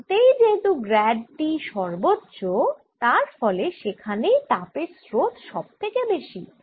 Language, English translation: Bengali, and that is because at the edges grade t is the largest and this means heat current is largest near the edges